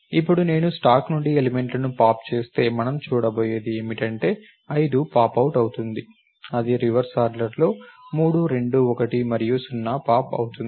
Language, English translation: Telugu, Now, if I pop the elements from the stack what are we going to see is going to pop 5 out, then it is going to pop 3, 2, 1 and 0 in reverse order